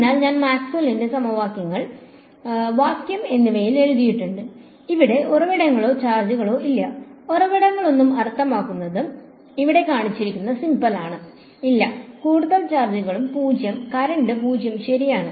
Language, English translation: Malayalam, So, I have written down Maxwell’s equations in vacuum and vacuum which has no sources or charges, no sources means rho is 0, no and charges also 0 and current is also 0 right